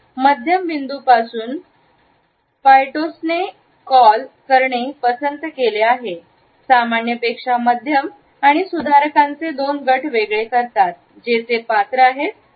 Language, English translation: Marathi, From a middle point Poyatos has prefer to call medium rather than normal and distinguishes two groups of modifiers they are qualifiers and